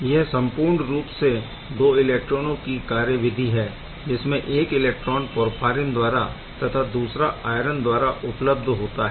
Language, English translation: Hindi, So, overall it is a two electron process; one electron comes from this porphyrin, another electron from iron; so iron IV